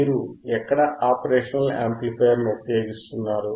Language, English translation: Telugu, Where you are using the operational amplifier